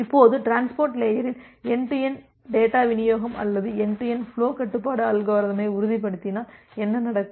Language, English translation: Tamil, Now in transport layer, what happens that you are only ensuring the end to end data delivery or end to end flow control algorithm